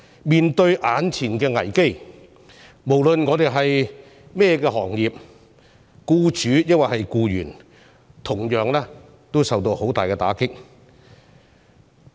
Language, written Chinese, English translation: Cantonese, 面對眼前的危機，無論我們從事哪個行業，是僱主或僱員，都同樣受到很大打擊。, In face of the present crisis employers and employees alike regardless of the industry they are in have been seriously affected